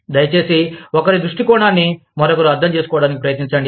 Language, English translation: Telugu, Please, try and understand, each other's point of view